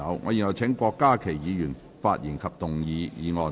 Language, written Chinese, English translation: Cantonese, 我現在請郭家麒議員發言及動議議案。, I now call upon Dr KWOK Ka - ki to speak and move the motion